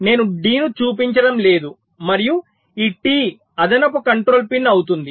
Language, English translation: Telugu, so d i am not showing, and this t will be the extra additional control pin